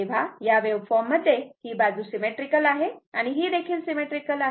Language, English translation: Marathi, So, this wave this this side is symmetrical and this is also symmetrical